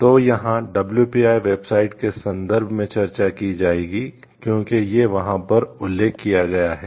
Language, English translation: Hindi, So, this we will be discussed in reference to the like WPIO website as it is mentioned over there